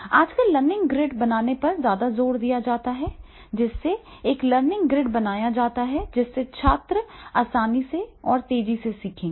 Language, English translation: Hindi, So therefore nowadays, the more emphasize is on the learning grid, create a learning grid, so that the students they will learn easily and faster way